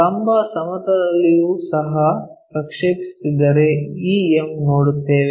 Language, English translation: Kannada, So, if we are projecting on the vertical plane also m we will see